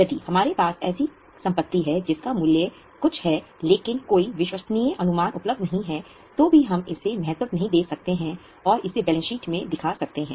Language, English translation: Hindi, If we have a asset, it's value it's a value, there is no reliable estimation available, then also we cannot value it and show it in the balance sheet